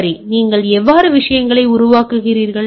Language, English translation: Tamil, Right how do you created the things right